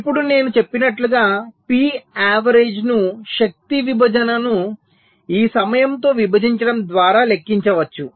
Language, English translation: Telugu, now, as i said, p average can be computed by dividing the energy divide with this time t